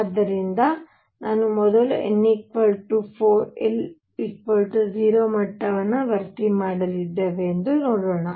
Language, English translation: Kannada, So, let us see now we are going to now first fill n equals 4 l equals 0 level